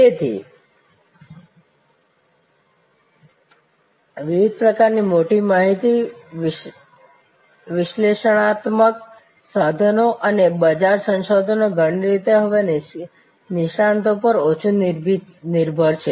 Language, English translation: Gujarati, So, with various kinds of big data analytic tools market research in many ways now are less dependent and market research experts